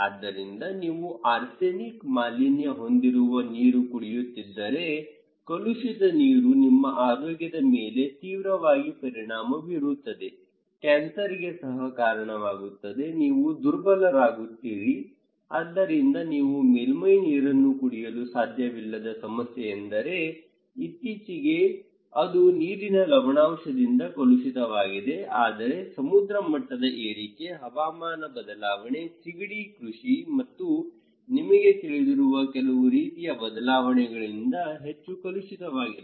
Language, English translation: Kannada, So, if you are drinking arsenic contaminations; contaminated water, then you will be, your health will be severely affected leaving you, making you vulnerable for cancer even, so the one problem that you cannot drink surface water because it was contaminated already, but recently, it is more contaminated by water salinity, it could be sea level rise, climate change and also some kind of changes of you know, shrimp cultivations